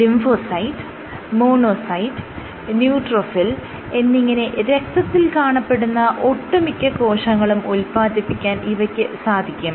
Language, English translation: Malayalam, So, it can give rise to all blood cell types; including lymphocyte, monocyte and neutrophil